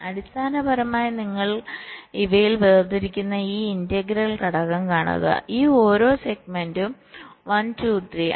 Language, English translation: Malayalam, basically, this integral you are separating out between these, each of these segments, one, two, three